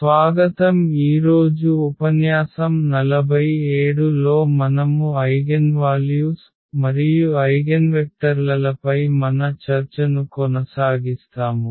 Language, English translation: Telugu, Welcome back and this is a lecture number 47, we will continue our discussion on Eigenvalues and Eigenvectors